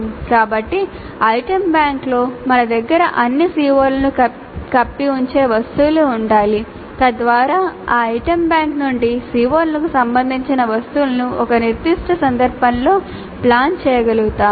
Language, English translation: Telugu, So in the item bank we must have items covering all the COs so that from that item bank we can pick up the items related to the COs which are being planned in a specific instance